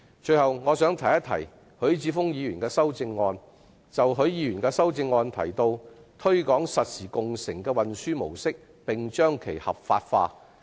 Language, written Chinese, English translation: Cantonese, 最後，我想談談許智峯議員在修正案中提到"推廣實時共乘的運輸模式，並將其合法化"的建議。, Lastly I would like say a few words on the proposal put forward by Mr HUI Chi - fung in his amendment to promote the transport mode of real - time car - sharing and effect its legalization